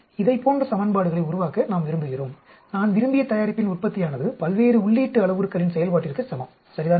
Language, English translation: Tamil, So, we want to develop equations like, yield of my desired product is equal to function of various input parameters, right